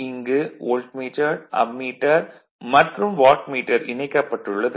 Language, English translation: Tamil, So, this is the Ammeter is connected 1 Wattmeter is connected and 1 Voltmeter is here